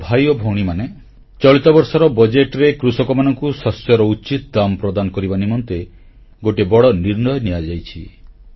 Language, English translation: Odia, Brothers and sisters, in this year's budget a big decision has been taken to ensure that farmers get a fair price for their produce